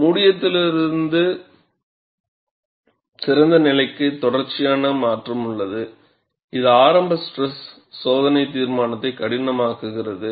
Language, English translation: Tamil, And there is a continuous transition from closed to open, making experimental determination of the opening stress difficult